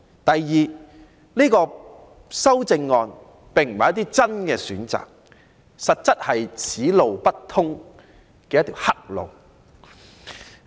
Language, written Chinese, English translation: Cantonese, 第二，修正案並不是提供一些真正的選擇，而實在是"此路不通"的一條黑路。, Second the amendments are not real options; instead they only lead us down a blind alley